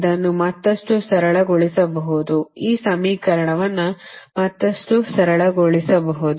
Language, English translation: Kannada, right, this equation further can be simplify